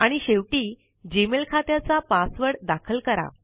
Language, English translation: Marathi, And, finally, enter the password of the Gmail account